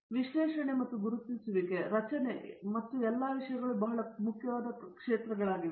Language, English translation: Kannada, So, the analysis and identification and its structure and all those things are very important area